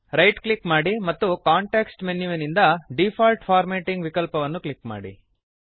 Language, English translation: Kannada, Now right click and from the context menu, click on the Default Formatting option